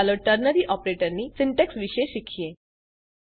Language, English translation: Gujarati, Let us learn about the syntax of Ternary Operator